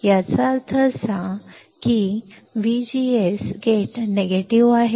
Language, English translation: Marathi, That means; that V G S; , the gate is negative